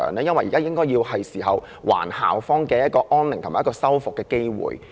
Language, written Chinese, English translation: Cantonese, 因為現在是時候還校方安寧和修復的機會。, That is because it is time for the University to restore peace on campus and repair the damaged properties